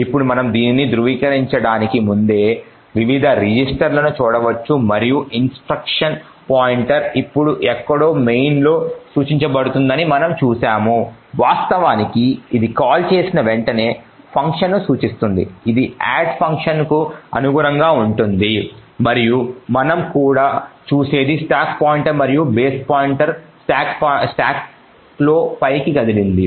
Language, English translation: Telugu, Now as before we could also verify this, we could look at the various registers and we see that the instruction pointer now points to somewhere in main in fact it is pointing to the function soon after the call which is this which corresponds to the add function and what we also see is that the stack pointer and the base pointer have moved up in the stack